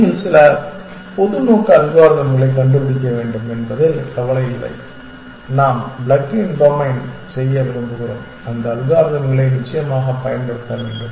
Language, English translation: Tamil, It does not care you have to find some general purpose algorithm and we would like to plug in domains and just use those algorithms essentially